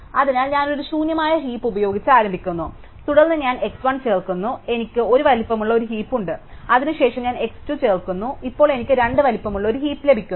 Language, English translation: Malayalam, So, I start with an empty heap and then I insert x 1, so I have a heap of size 1 then I insert x 2, so now I heap of size 2 and so on